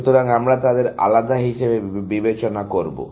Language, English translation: Bengali, So, we will treat them as separate